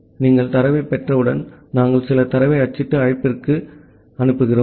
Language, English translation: Tamil, And once you are receiving data we are printing some data and making a send to call